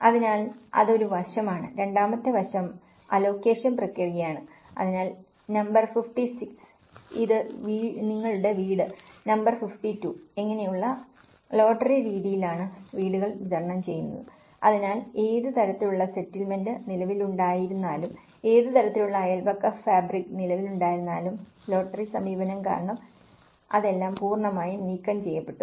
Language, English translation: Malayalam, So that is one aspect, the second aspect is allocation process so, the houses are distributed by lottery method like number 56, this is your house, number 52 this is; so despite of what kind of settlement it was existed, what kind of neighbourhood fabric it was existed, it is all completely taken out due to the lottery approach